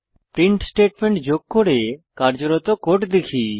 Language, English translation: Bengali, now Let us add a print statement and see the code in action